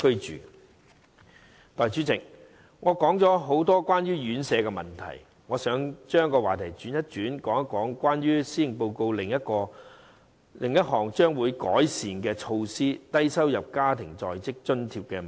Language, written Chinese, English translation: Cantonese, 代理主席，我談了很多有關院舍的問題，現在我想轉轉話題，談談施政報告提出將會改善的另一項措施——低收入在職家庭津貼計劃。, Deputy President I have talked a lot about residential care homes . I would like to change the subject to another measure mentioned in the Policy Address the Low - income Working Family Allowance LIFA Scheme